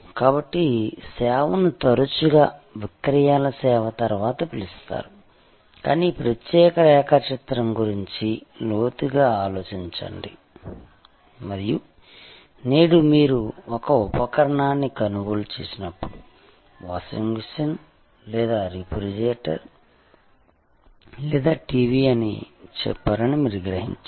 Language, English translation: Telugu, So, service was often called after sales service, but think deeply over this particular diagram, and you realise that today, when you buy an appliance say washing machine or a refrigerator or a TV